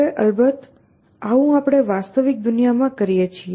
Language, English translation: Gujarati, Now of course, this is like what we do in the real world